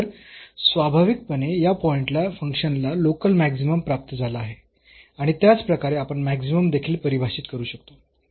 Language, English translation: Marathi, So, naturally the function has attained local maximum at this point and similarly we can define for the minimum also